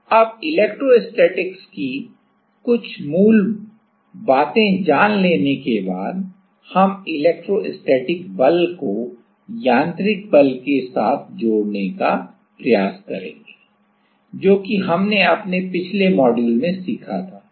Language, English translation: Hindi, Now, once we know some basics of electrostatics we will try to couple the electrostatic force with the mechanical force, what we learnt in our previous modules